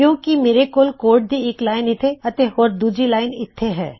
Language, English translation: Punjabi, Because I have one line of code here and another one line of code here